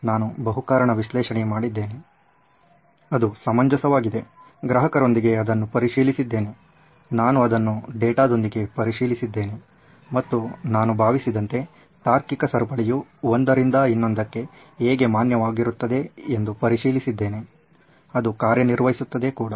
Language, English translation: Kannada, I have done my multi why analysis, it is reasonable I have checked it with customers, I have checked it with data, I have checked it and I think the chain of reasoning is valid from one why to the other, it works